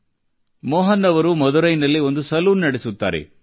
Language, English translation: Kannada, Shri Mohan ji runs a salon in Madurai